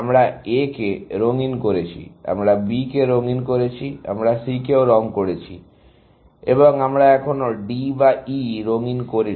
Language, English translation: Bengali, We have colored A, we have colored B, we have colored C, and we have not yet, colored D, or E